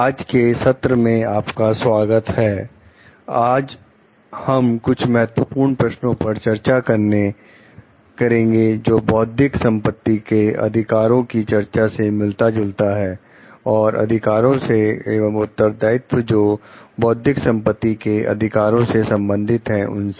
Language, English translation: Hindi, Welcome to today s session, today we will be discussing some Key Questions, which are relevant to the discussion on Intellectual property rights and the Rights, and Responsibilities regarding Intellectual property rights